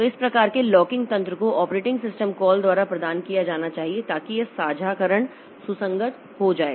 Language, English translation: Hindi, So, this type of locking mechanism must be provided by the operating system, system calls so that this sharing becomes consistent